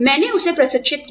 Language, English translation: Hindi, I trained him